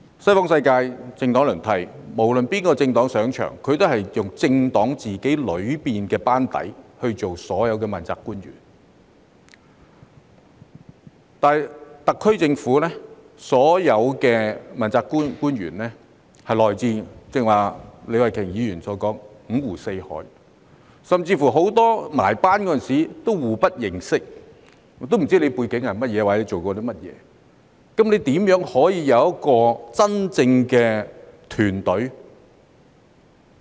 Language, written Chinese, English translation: Cantonese, 西方世界政黨輪替，無論哪個政黨上場，都是由自己政黨的班底當所有的問責官員，但特區政府的所有問責官員，正如李慧琼議員剛才所說，來自五湖四海，甚至籌組班子時很多人互不認識，不知道對方有甚麼背景或做過甚麼，那麼如何可以有一個真正的團隊？, No matter which party comes into power all positions of accountability are taken up by the partys own members . In contrast as Ms Starry LEE said earlier all accountability officials of the SAR Government come from a wide variety of backgrounds and many of them did not even know each other when the team was formed nor had any knowledge of each others background or track record so how can there be a real team?